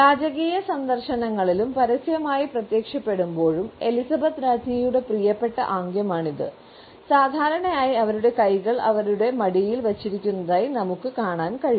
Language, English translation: Malayalam, It is a favourite gesture of Queen Elizabeth when she is on royal visits and public appearances, and usually we find that her hands are positioned in her lap